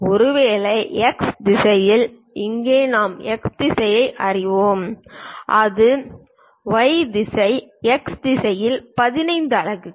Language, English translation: Tamil, Perhaps in the X direction, here we know X direction it is the Y direction; in the X direction 15 units